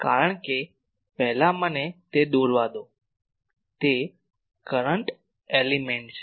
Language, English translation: Gujarati, Because first let me draw that the current element